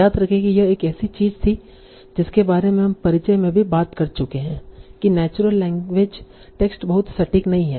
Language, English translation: Hindi, So remember this was one of the things that we were talking about in the introduction also that the national language text is not very precise